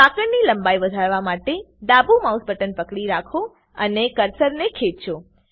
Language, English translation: Gujarati, To increase the chain length, hold the left mouse button and drag the cursor